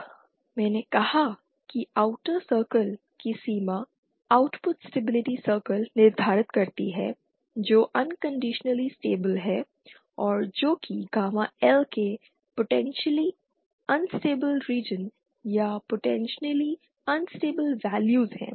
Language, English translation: Hindi, Now, I said that the boundary of outer circle the output stability circle determines which is the unconditionally stable and which is the which is the potentially unstable regions or potentially unstable values of gamma L